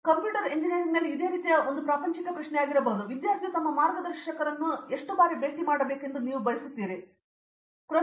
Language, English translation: Kannada, Along similar lines in computer science engineering you may be a bit of a mundane question, but how often do you think student should be meeting their guides and you know what sort of an interaction should be there